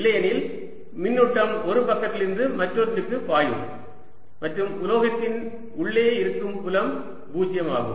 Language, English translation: Tamil, otherwise charge is flow from one side to the other and the field inside the metal is zero